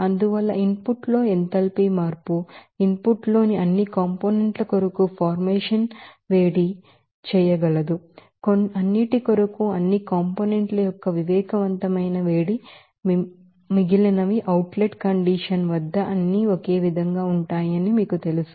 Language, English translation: Telugu, So, according to that the enthalpy change in the input that will be able to heat up formation for all components in the input, sensible heat summation of all components for all those, you know sensible heat they are similar at the outlet condition